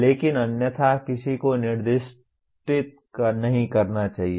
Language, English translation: Hindi, But otherwise, one should not over specify